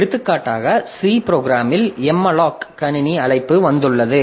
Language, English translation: Tamil, So, by say for example in C program, we have C language you have got the malloc system called